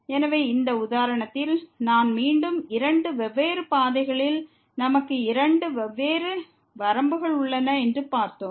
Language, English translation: Tamil, So, I will again in this example we have seen that along two different paths, we have two different limits